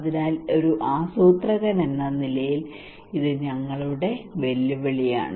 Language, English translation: Malayalam, So this is our challenge as a planner right